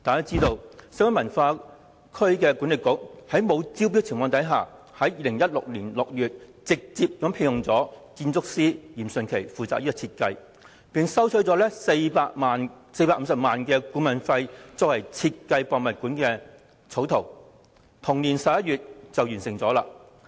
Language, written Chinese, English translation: Cantonese, 眾所周知，西九管理局在未經招標的情況下，於2016年6月直接聘用建築師嚴迅奇負責設計，並向其支付450萬元顧問費，嚴迅奇須於同年11月完成故宮館草圖。, As we all know WKCDA directly commissioned Rocco YIM an architect to be responsible for the design in June 2016 without conducting any tender exercise . Rocco YIM was paid 4.5 million as consultancy fee and was required to complete a draft plan for HKPM in November of the same year